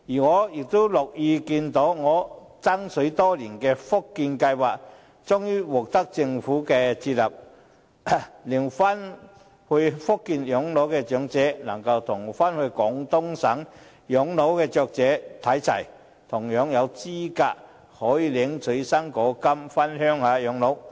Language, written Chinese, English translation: Cantonese, 我亦樂意看到我爭取多年的"福建計劃"終於獲得政府接納，令返回福建養老的長者能與返回廣東省養老的長者看齊，同樣有資格可以領取"生果金"回鄉養老。, I am also glad that the Fujian Scheme for which I have been striving for many years is finally accepted by the Government thus elderly persons who retire permanently in Fujian are also eligible for fruit grants as those who retire permanently in Guangdong